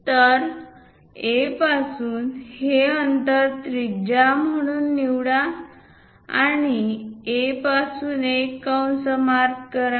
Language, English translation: Marathi, So, from A; picking these distance radius mark an arc from A